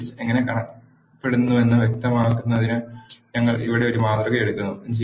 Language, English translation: Malayalam, To illustrate how a list looks, we take an example here